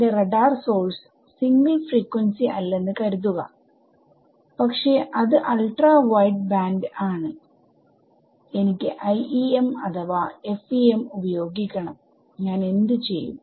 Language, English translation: Malayalam, Supposing my source my let us my radar sources not single frequency, but it's ultra wideband thing and I wanted to use IEM or FEM then what would I do